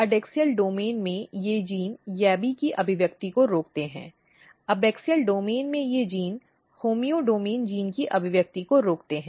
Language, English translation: Hindi, So, in adaxial domain these genes inhibit expression of YABBY, in abaxial domain these genes inhibit expression of homeodomain gene